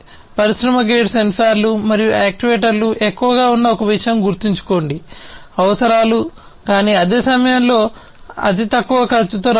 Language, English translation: Telugu, And so remember one thing that industry grade sensors and actuators have higher requirements, but at the same time they have to come in lower cost